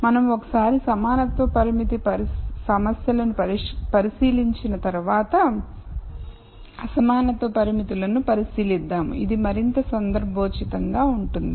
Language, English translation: Telugu, Once we look at equality constraint problems we will look at in equality constraints which is even more relevant